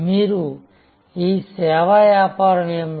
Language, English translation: Telugu, What is your service business